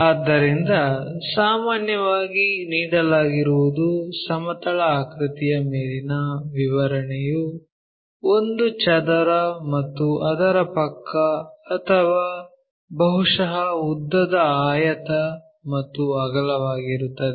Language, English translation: Kannada, So, usually what is given is description over the plane figure is something like a square of so and so side or perhaps a rectangle of length this and breadth that